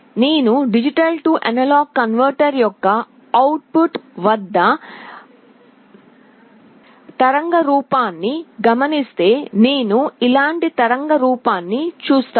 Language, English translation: Telugu, If I observe the waveform at the output of the D/A converter, I will see a waveform like this